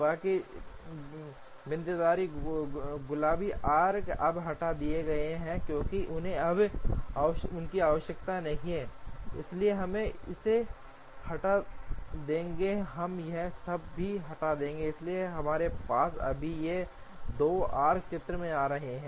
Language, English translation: Hindi, The rest of the dotted pink arcs are now removed, because they are no longer required, so we will remove this we would also remove all this, so we just have these 2 arcs coming in to the picture